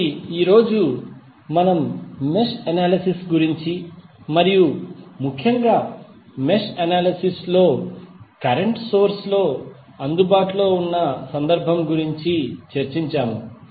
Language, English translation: Telugu, So, today we discussed about the mesh analysis and particularly the case where current sources available in the mesh analysis